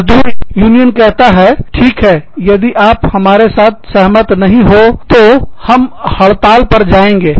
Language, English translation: Hindi, Labor unions say, well, if you do not agree with us, we will go on strike